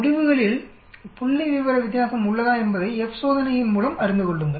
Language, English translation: Tamil, Ascertain by F test whether there is a statistical difference in the results, simple